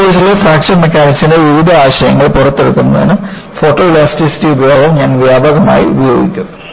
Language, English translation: Malayalam, And, I would use extensively, the use of photoelasticity in bringing out various concepts of Fracture Mechanics in this course